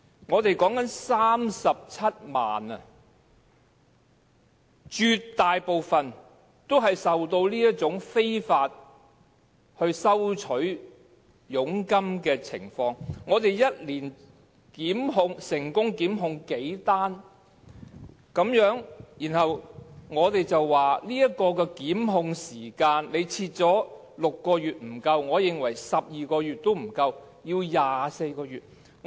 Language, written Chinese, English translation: Cantonese, 我們說的是37萬名外傭，絕大部分也受到這種非法收取佣金的情況影響，但本港每年只有數宗成功檢控個案，然後我們說把檢控時限設定為6個月並不足夠，我認為12個月也不足夠，應該有24個月。, We are talking about 370 000 foreign domestic helpers most of whom are affected by the unlawful charging of commission but only several prosecutions have been initiated in Hong Kong per annum . And then we consider it inadequate to set the time limit for prosecution at 6 months . Actually I think that the time limit should be set at 24 months instead of 12 months which is simply not long enough